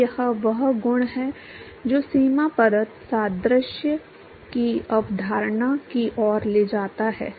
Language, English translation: Hindi, So, it is this property which leads to the concept of the boundary layer analogy